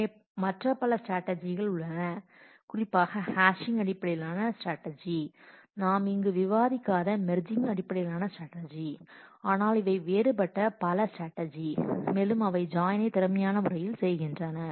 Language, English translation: Tamil, So, these are there are several other strategies particularly hashing based strategies, merging based strategies which we are not discussing here, but there are different strategies through which you can do join in more and more efficient manner